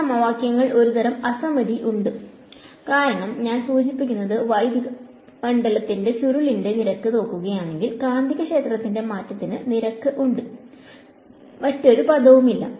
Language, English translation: Malayalam, There is a sort of asymmetry in these equations right because if I look at rate of I mean the curl of electric field, there is a rate of change of magnetic field and no other term